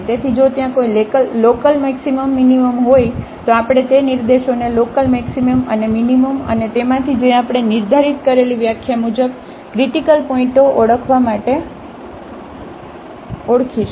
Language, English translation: Gujarati, So, if there is a local maximum minimum we will identify those points local maximum and minimum and among these which are the critical points as per the definition we have defined